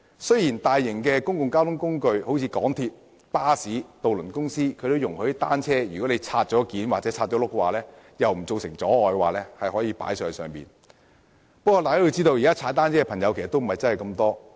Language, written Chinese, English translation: Cantonese, 雖然較大型的公共交通工具如港鐵、巴士和渡輪容許市民把已妥善摺合或拆輪後的單車在不造成阻礙的情況下攜帶上車，但大家要知道，現時踏單車的朋友並不算太多。, While such major modes of public transport as MTR trains buses and ferries allow members of the public to provided that no obstruction is caused carry on board bicycles properly folded up or with their wheels removed we should know that not many people commute by cycling now